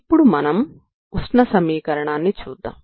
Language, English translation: Telugu, How we derived this heat equation